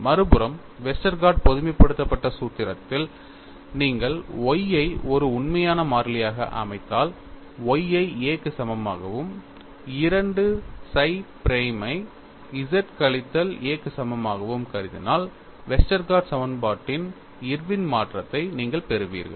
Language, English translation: Tamil, On the other hand, in the Westergaard generalized formulation, if you set Y as a real constant, assuming Y equal to A and 2 psi prime equal to Z minus A, you get the Irwin's modification of Westergaard equation